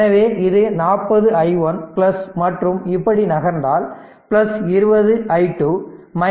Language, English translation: Tamil, So, it is 40 i 1 right plus we are moving like this plus 20 i 2 minus V Thevenin is equal to 0 right